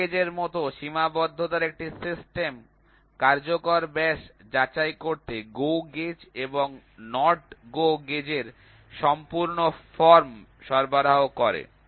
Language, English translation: Bengali, Similar to plug gauge a system of limit gauge is provided by the full form of GO gauge and NOT GO gauge to check the effective diameter